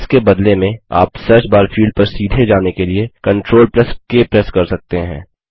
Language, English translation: Hindi, Alternately, you can press CTRL+K to directly go to the Search bar field